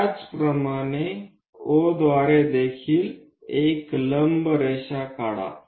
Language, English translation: Marathi, Similarly, draw one perpendicular line through O also